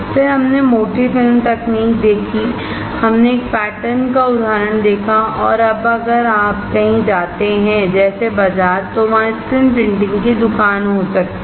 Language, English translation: Hindi, Then we saw thick film technology, we saw an example of a pattern, and now if you go somewhere may be in market there is a screen printing shop